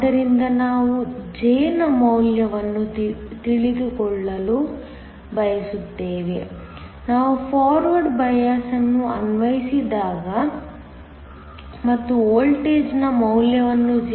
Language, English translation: Kannada, So, we want to know the value of J, when we apply a forward bias and let me take the value of voltage to be 0